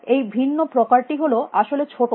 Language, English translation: Bengali, The different type is small actually